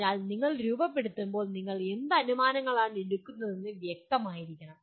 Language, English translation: Malayalam, So when you are formulating, you have to be clear about what the assumptions that you are making